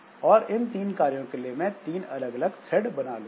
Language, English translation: Hindi, So, I can create three different thread for doing each of them